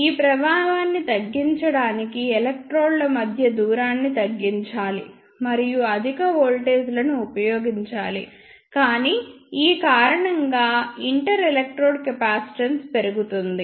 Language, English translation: Telugu, To minimize this affect the distance between the electrodes should be ah reduced and high voltages should be applied, but because of this ah inter electrode capacitance will increase